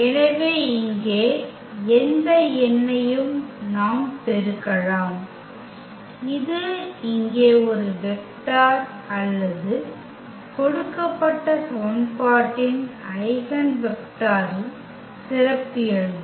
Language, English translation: Tamil, So, we can multiply by any number here that will be the characteristic a vector here or the eigenvector of the given equation